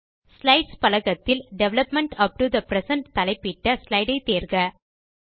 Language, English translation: Tamil, Select the slide entitled Development upto present from the list